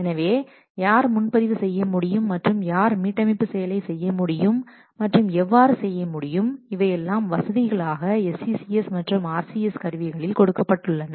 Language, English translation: Tamil, So who can perform and who can perform reserve and restore operations and how they can perform these facilities are provided by these tools, SCCS and RCS